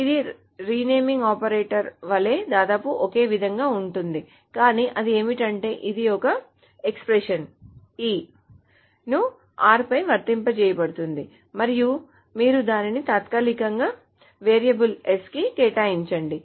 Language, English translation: Telugu, This is almost similar to the renaming operator, but what it does is that, so this is an expression, the expression has been applied on R, and you temporarily assign it to a variable S